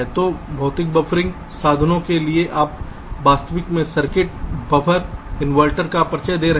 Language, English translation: Hindi, so for physical buffering means you are actually introducing the circuits, the buffer, the inverters